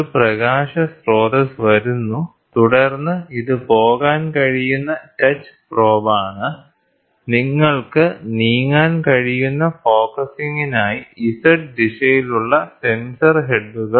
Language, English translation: Malayalam, So, there is a light source which comes and then this is the touch probe, which can go, the sensor heads with the Z direction for focusing you can move